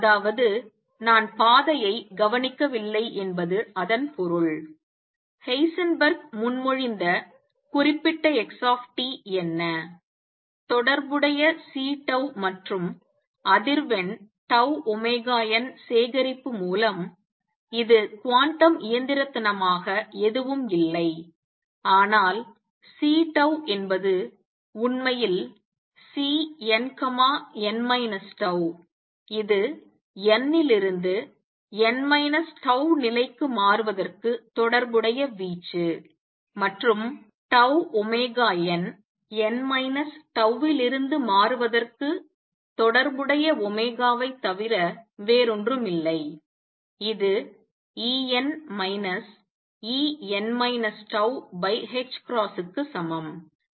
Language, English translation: Tamil, That means I do not observe the trajectory therefore, what Heisenberg proposes represent xt by collection of corresponding C tau and frequency tau omega n, which quantum mechanically are nothing but C tau is actually C n, n minus tau that is the amplitude corresponding to transition from n to n minus tau level, and tau omega n is nothing but omega corresponding to transition from n to n minus tau, which is equal to En minus E n minus tau divided by h cross